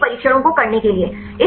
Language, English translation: Hindi, So, to do all these trials